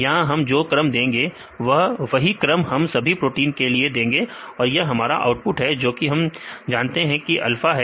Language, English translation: Hindi, So, with the order we give here; so we give the same order in all the proteins and here this is the output because we know that this is alpha